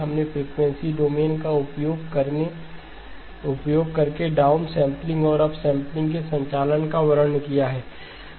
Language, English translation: Hindi, We have described the operations of the down sampling and up sampling using the frequency domain